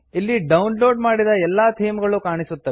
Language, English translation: Kannada, Here all the themes which have been downloaded are visible